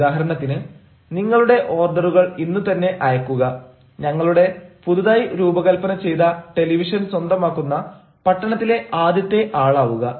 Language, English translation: Malayalam, say, for example, send your orders today and be the first in the town to own our newly designed television